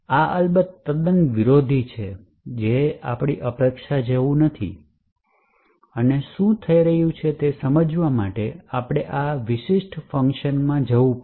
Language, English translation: Gujarati, So, this is of course quite counter intuitive and not what is expected and in order to understand what actually is happening we would have to go into this particular function